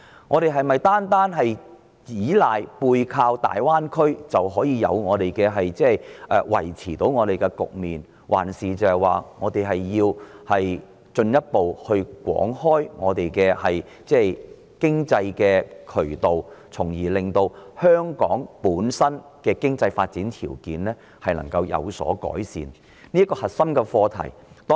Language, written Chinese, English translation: Cantonese, 我們是否只須背靠大灣區，就可以維持局面，還是須進一步廣開經濟渠道，從而令香港的經濟發展條件有所改善？, Do we only have to leverage the Greater Bay Area to maintain the status quo or is it necessary to develop economic channels more extensively so as to improve the conditions for Hong Kongs economic development?